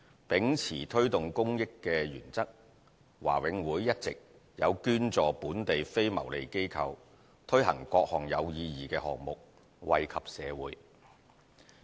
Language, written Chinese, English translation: Cantonese, 秉持推動公益的原則，華永會一直有捐助本地非牟利機構，推行各項有意義的項目，惠及社會。, Upholding the principle of promoting public good BMCPC has been donating to local non - profit - making organizations for implementation of meaningful initiatives to benefit the community